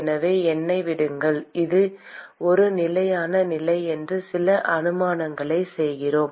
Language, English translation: Tamil, So, let me we make a few assumptions saying that it is a steady state